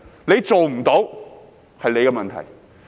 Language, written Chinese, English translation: Cantonese, 如果做不到，那是你的問題。, If you fail to do so it is your problem